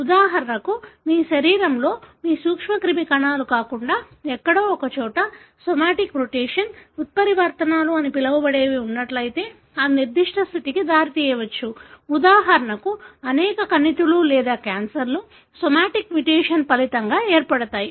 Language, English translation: Telugu, For example if you have what is called as somatic mutation, mutations happening somewhere in your body other than your germ cells, it may result in certain condition for example, many tumors or cancers result from somatic mutation